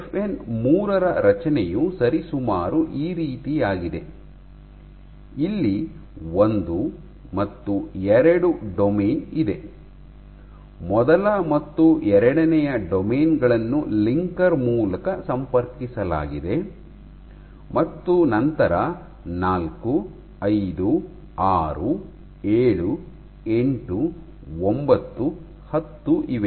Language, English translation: Kannada, So, FN 3 is the structure of FN 3 is roughly like this, you have 1 and 2; first and second domain are connected by a linker and then you have these 4, 5, 6, 7, 8, 9, 10